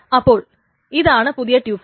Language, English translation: Malayalam, So this is a new tuple